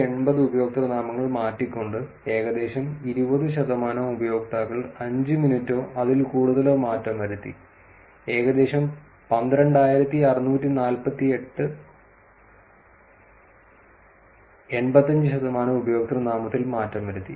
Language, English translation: Malayalam, Constituting 14,880 username changes, about 20 percent users changed 5 minutes or more triggering around 12,648 85 percent of user name changes